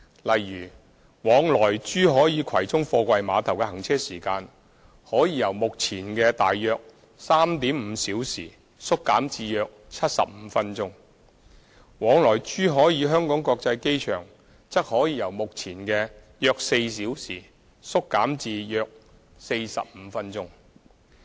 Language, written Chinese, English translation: Cantonese, 例如，往來珠海與葵涌貨櫃碼頭的行車時間可以由目前的大約 3.5 小時縮減至約75分鐘；往來珠海與香港國際機場則可以由目前的約4小時縮減至約45分鐘。, For example the travelling time between Zhuhai and Kwai Chung Container Terminal will be reduced from currently 3.5 hours or so to about 75 minutes . The travelling time between Zhuhai and Hong Kong International Airport will also be reduced from currently four hours or so to about 45 minutes